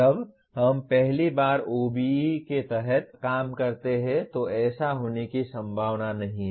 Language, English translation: Hindi, This is unlikely to happen when we first operate under the OBE